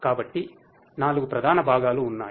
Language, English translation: Telugu, There are four major components